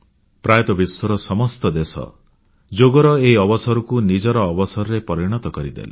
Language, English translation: Odia, Almost all the countries in the world made Yoga Day their own